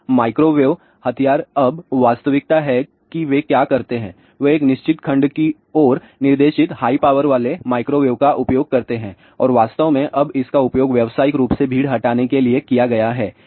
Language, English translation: Hindi, Now, microwave weapon is now reality where what they do, they use high power microwave director towards a certain segment and the in fact it has been now commercial used ah for crowd dispersal